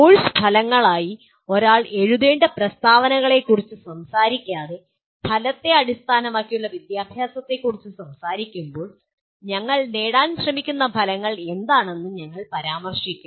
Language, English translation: Malayalam, Now as we are talking about outcome based education without talking about the kind of statements that one should write as course outcomes, we will mention what the outcomes we are trying to attain